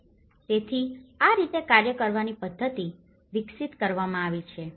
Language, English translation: Gujarati, So, this is how the working methodology has been developed